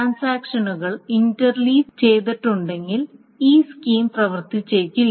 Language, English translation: Malayalam, If the transactions are being interlaced, then this scheme may not work